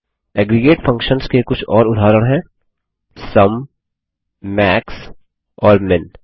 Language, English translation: Hindi, Some more examples of aggregate functions are SUM, MAX and MIN